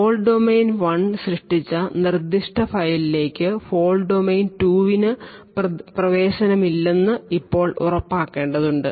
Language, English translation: Malayalam, Now we need to ensure that fault domain 2 does not have access to that particular file which has been created by fault domain 1